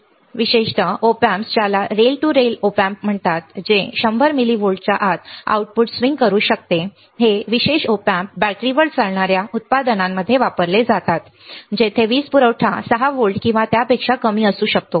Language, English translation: Marathi, That means, that there are special Op Amps called a rail to rail Op Amps that can swing the output within 100 milli volts, these special Op Amps are offered used in a battery operated products where the power supply may be 6 volts or less got it that is what your output voltage swing